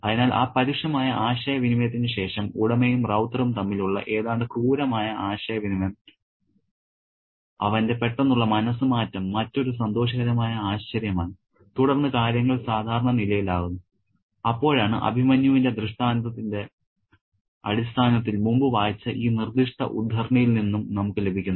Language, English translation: Malayalam, So, after that harsh exchange, almost brutal exchange between the owner and Ravatar, his sudden change of mind is another pleasant surprise and then things become normal and that's when we have this particular extract which I read before in terms of the metaphor of Abhimanyu